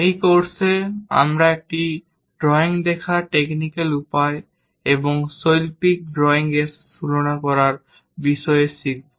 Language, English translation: Bengali, In this course, we are going to learn about technical way of looking at drawing and trying to compare with artistic drawing also